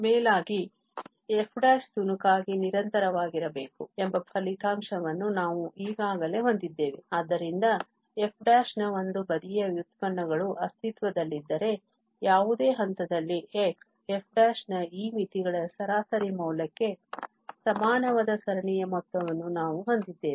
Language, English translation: Kannada, And moreover, if this one sided derivatives of f prime exists, then at any point x we have the sum of the series equal to this average value of these limits of f prime